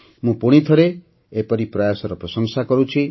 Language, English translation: Odia, I once again commend such efforts